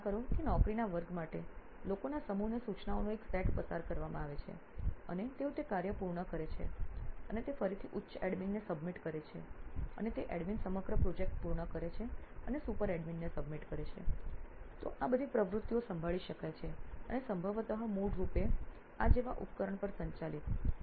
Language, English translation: Gujarati, Imagine a set of instructions are being passed to a set of people to perform a set of job and they complete that task and again submit it to that higher admin and that admin completes the entire project and submits to the super admin, so all these activities can be handled and probably managed to a device like this basically